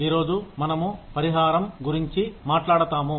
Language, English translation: Telugu, Today, we will talk about, Compensation